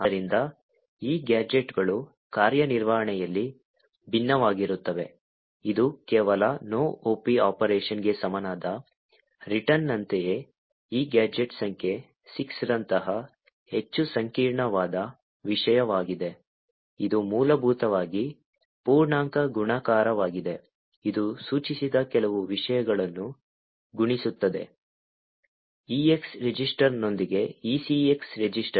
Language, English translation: Kannada, So these gadgets vary in functionality from very simple things like return which is equivalent to just doing no op operation, to something which is much more complicated like this gadget number 6, which is essentially integer multiplication, it multiplies some contents pointed to by these ECX register with the EX register